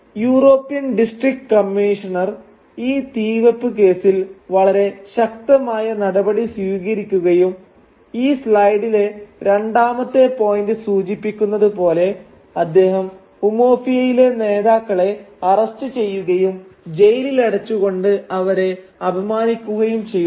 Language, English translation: Malayalam, Now the European district commissioner takes a very strong view of this arson case and as the second point in this slide suggests, he arrests the leaders of Umuofia and humiliates them by putting them in jail